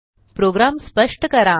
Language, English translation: Marathi, Explain the program